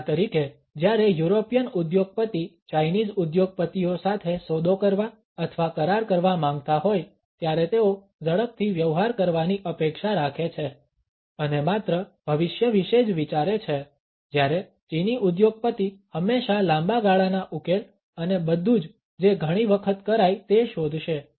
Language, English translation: Gujarati, For instance when European businessman want to make a deal or sign a contract with Chinese businessmen, they expect to make to deal fast and only think about the future while the Chinese businessman will always look for a long term solution and everything to do several times